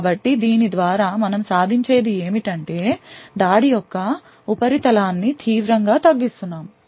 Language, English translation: Telugu, So, what we achieve by this is that we are drastically reducing the attack surface